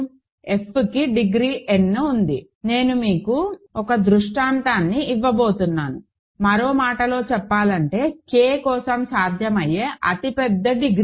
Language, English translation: Telugu, So, f has degree n, right so, I am going to give you the worst case scenario, in other words the largest degree possible for K, right